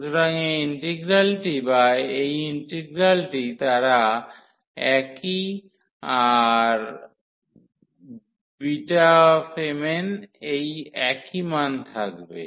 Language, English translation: Bengali, So, this integral or this integral they are the same having the same value as beta m, n